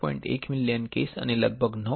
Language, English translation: Gujarati, 1 million cases and close to 9